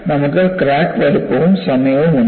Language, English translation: Malayalam, So, you have a crack size versus time